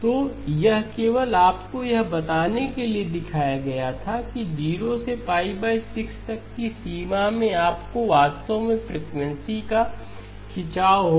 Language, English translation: Hindi, ” So this was shown only to tell you that in the range from 0 to pi by 6 you will actually have a stretching of frequency